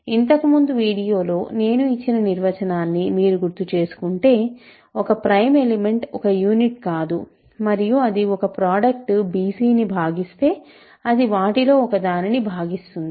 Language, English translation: Telugu, So, a prime element if you recall the definition I gave in the last video, a prime element is not a unit and if it divides a product bc, it divides one of them